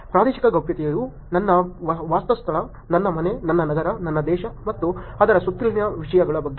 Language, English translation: Kannada, Territorial privacy is about my living space, my home, my city, my country and, the topics around that